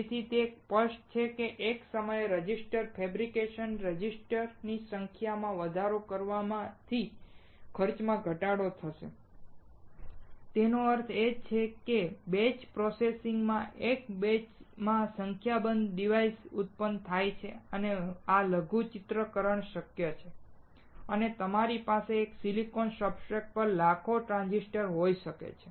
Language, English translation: Gujarati, So, it is obvious that increasing the number of resistors fabrication registers at one time will decrease the cost; that means, in batch processing increased number of devices are produced in one batch and because of this miniaturization is possible and you can have millions of transistors on one silicon substrate